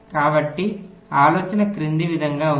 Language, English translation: Telugu, so the either is as follows